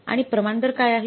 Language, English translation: Marathi, And what is the rate